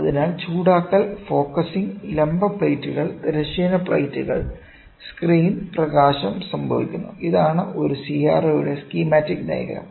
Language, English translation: Malayalam, So, heating, focusing, vertical plates, horizontal plates, screen, luminous happen; so, this is the schematic diagram of a CRO